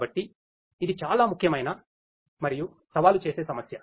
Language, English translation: Telugu, And this is a very important and a challenging problem